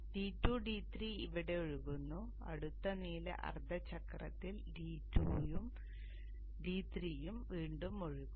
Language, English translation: Malayalam, D2 and D3 it flows here and D2 and D3 it will again flow in the next blue half cycle